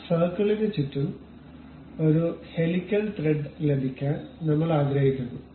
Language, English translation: Malayalam, Around that circle we would like to have a helical thread